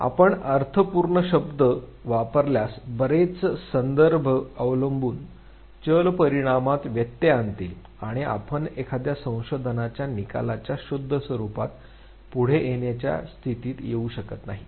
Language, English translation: Marathi, If you use meaningful words then many context dependent variables will interfere with the outcome, and you will not be in a position to come forward with the purest form of a research outcome